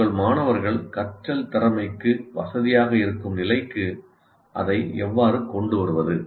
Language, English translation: Tamil, How do you make it, bring it down at a level to the level of your students where they feel comfortable in learning